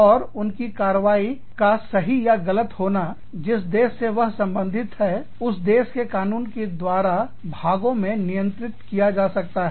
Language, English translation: Hindi, And, their work, and their, the rightness or wrongness of their actions, could be governed in part, by the laws of the country, they belong to